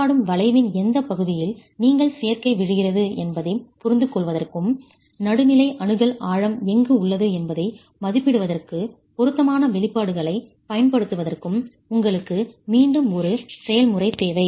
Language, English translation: Tamil, You need an iterative procedure to understand in which part of the interaction curve do you thus the combination fall in and use appropriate expressions to estimate where the neutral axis depth is lying because that is something you do not know at all